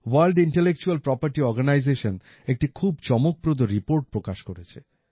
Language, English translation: Bengali, The World Intellectual Property Organization has released a very interesting report